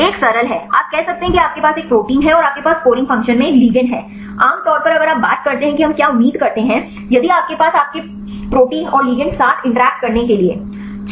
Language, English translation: Hindi, The one is simple one you can say that you have a protein and you have a ligand be in the scoring function, generally if you talk what do we expect if you have your protein and the ligand to interact